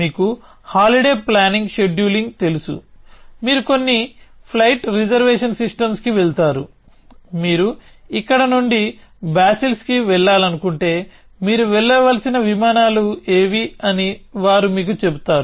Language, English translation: Telugu, You know scheduling holiday planning, you go to some flight reservation systems, they will tell you that if you want to go from here to basils, what are the flights you should take